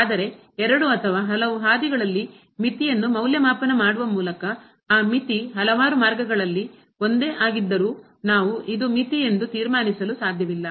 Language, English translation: Kannada, But getting the limit along two or many different paths though that limit may be the same, but we cannot conclude that that particular number is the limit